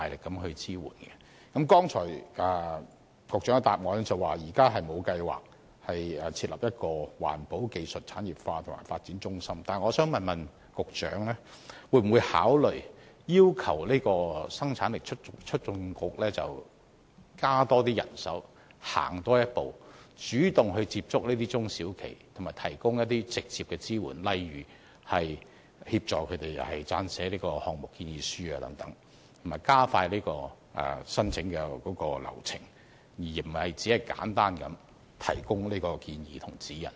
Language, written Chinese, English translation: Cantonese, 局長剛才答覆指現時沒有計劃設立一個環保技術產業化和發展中心，但我想問局長會否考慮要求生產力促進局增加人手，多走一步，主動接觸中小企及提供直接支援，例如協助它們撰寫項目建議書等，以及加快申請流程，而非只是簡單提供建議和指引。, In his reply just now the Secretary has indicated that the Government has no plan to establish a centre for industrialization and development of environmental protection technologies . In this respect I would like to ask if the Secretary would consider requesting the Hong Kong Productivity Council HKPC to strengthen its manpower so that HKPC can speed up the application process and move one step forward to reach out for and provide direct support to SMEs . For example instead of merely providing suggestions and guidelines HKPC can assist applicants in preparing their project proposals